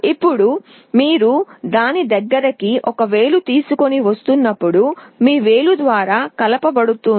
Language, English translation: Telugu, Now when you are bringing a finger near to it, there will be a coupling through your finger